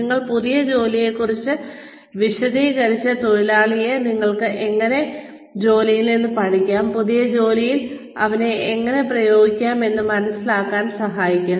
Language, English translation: Malayalam, You, explain the new job and help the worker figure out, how one can take the learnings, from the previous job, and apply them, to the new job